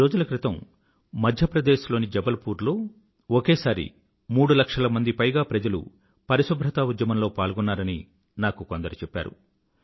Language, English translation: Telugu, I was told that a few days ago, in Jabalpur, Madhya Pradesh, over three lakh people came together to work for the sanitation campaign